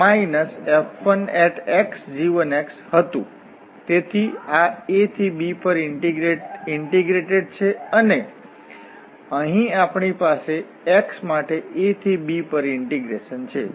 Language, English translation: Gujarati, So, this is integrated over a to b and here also we have the integral over a to b for x